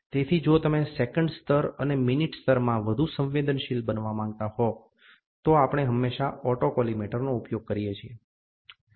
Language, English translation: Gujarati, So, if you want to be more sensitive in second level and the minute level, then we always use autocollimator